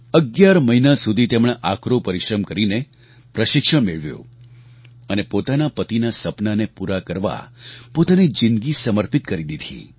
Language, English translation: Gujarati, She received training for 11 months putting in great efforts and she put her life at stake to fulfill her husband's dreams